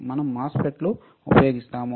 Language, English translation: Telugu, What we are using are MOSFETs